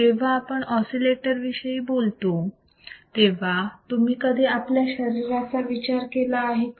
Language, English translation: Marathi, So, when you talk about oscillators have you ever thought about our body right